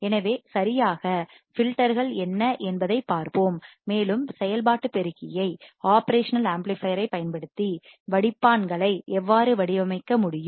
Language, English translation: Tamil, So, let us see what exactly filters are and how can we design the filters using the operational amplifier